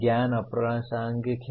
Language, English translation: Hindi, The knowledge is irrelevant